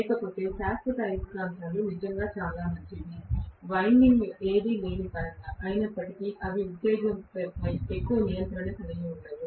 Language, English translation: Telugu, Otherwise permanent magnet machines are really, really good in terms of not having any winding, although they do not have much of control over the excitation right